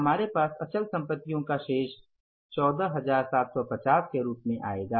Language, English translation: Hindi, This balance of the fixed assets with us will come up as 14,750 fixed assets